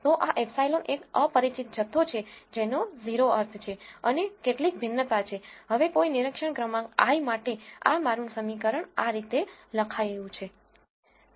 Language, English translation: Gujarati, So, this epsilon is an unknown quantity which has 0 mean and some variance, now for any i th observation this is how my equation is written